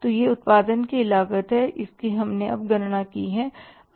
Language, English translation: Hindi, So this is the cost of production we have calculated now